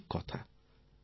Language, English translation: Bengali, This won't do